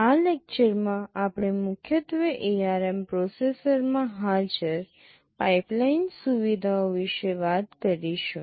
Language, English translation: Gujarati, In this lecture, we shall be mainly talking about the pipeline features that are present in the ARM processor